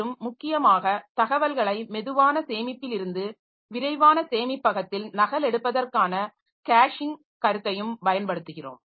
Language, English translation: Tamil, And so we'll also be using the concept of caching for copying, for copying information from slow storage into fast storage